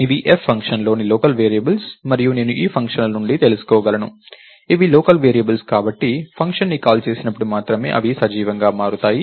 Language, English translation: Telugu, These are local variables within the function f and I could so I know this from functions that since these are local variables, they become alive only when the function is called and they are automatically killed and returned